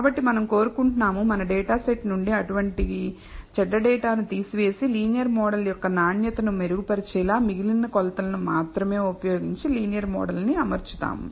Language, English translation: Telugu, So, we want to remove such bad data from our data set and improve maybe fit a linear model only using the remaining measurements and that will improve the quality of the linear model